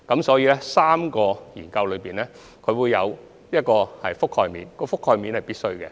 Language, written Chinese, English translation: Cantonese, 所以 ，3 項研究會有一個覆蓋面，而該覆蓋面是必須的。, Therefore there is naturally a scope which the three studies cover and such a coverage is necessary